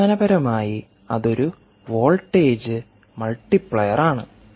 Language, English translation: Malayalam, volt is nothing but a voltage multiplier